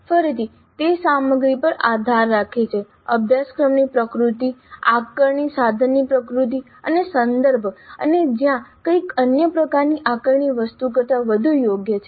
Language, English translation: Gujarati, Again it depends upon the content, the nature of the course, the nature of the assessment instrument and the context and where something is more suitable than some other kind of assessment item